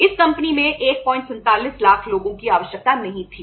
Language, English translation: Hindi, 47 lakh people were not required in this company